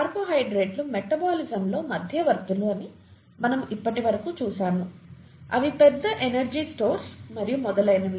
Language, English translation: Telugu, We have so far seen lipids, carbohydrates, carbohydrates as you know are intermediates in metabolism, they are a large energy stores and so on so forth